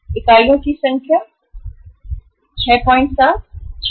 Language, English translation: Hindi, Number of units 6